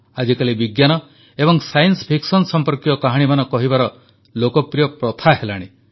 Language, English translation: Odia, These days, stories and storytelling based on science and science fiction are gaining popularity